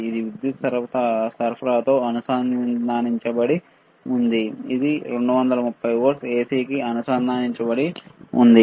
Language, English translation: Telugu, This is connected to the power supply, this is connected to the 230 volts AC, all right